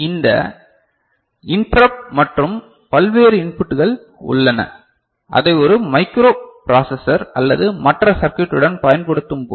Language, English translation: Tamil, And there are this interrupt and various other you know, inputs are there when you are using it with a microprocessor or other circuit